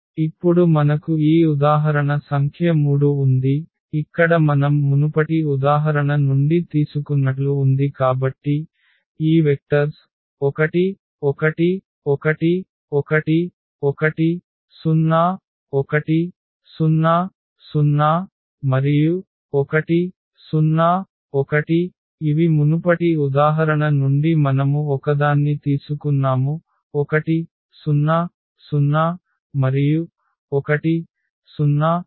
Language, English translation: Telugu, We have this example number 3, where we will show now we have taken from the previous example yeah so, these vectors 1 1 1, 1 1 0 and 101 these are from the previous example and we have taken one more that 1 0 0 1 0 1